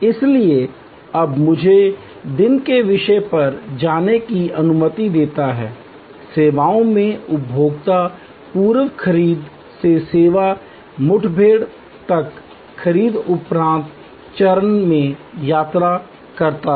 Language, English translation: Hindi, So, let me now go to the topic of day, the consumer in the services flow traveling from the pre purchase to the service encounter to the post purchase stage